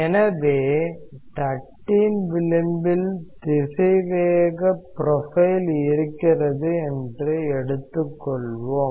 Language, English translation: Tamil, So, let us say that at the edge of the plate, you are given the velocity profile